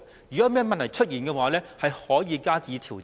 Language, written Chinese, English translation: Cantonese, 如果有問題出現，可以加以調整。, In case problems have emerged adjustments can be made accordingly